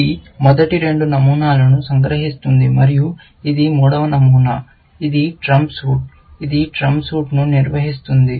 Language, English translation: Telugu, This captures the first two patterns, and this is the third pattern, which is the trump suit, which defines a trump suit